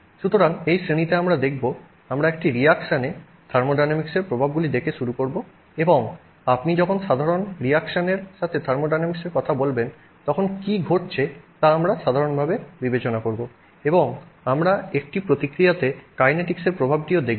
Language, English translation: Bengali, So, in this class we will look at, we will start by looking at the impact of thermodynamics on a reaction and in a more general sense what is happening when you talk of thermodynamics with respect to reaction